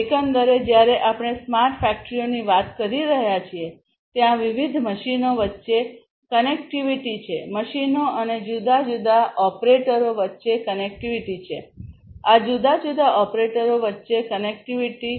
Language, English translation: Gujarati, Overall, when we are talking about smart factories there is lot of connectivity; connectivity between different machines, connectivity between machines and the different operators, connectivity between these different operators